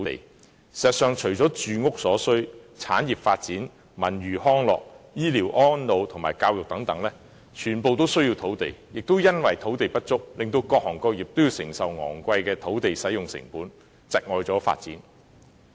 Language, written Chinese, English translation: Cantonese, 事實上，除了住屋所需，產業發展、文娛康樂、醫療安老和教育等全部均需要土地，亦由於土地不足，各行各業也要承受昂貴的土地使用成本，窒礙發展。, In fact apart from meeting the needs of housing land is also required for the development of industries cultural and recreational facilities health care and elderly services education and so on . Given this shortage of land various trades and industries have to pay expensive costs for use of land